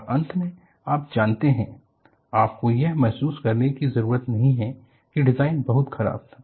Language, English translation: Hindi, And finally, you know, you do not have to feel that the design was very bad